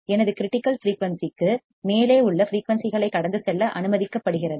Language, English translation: Tamil, Frequency which is above my critical frequency is allowed to pass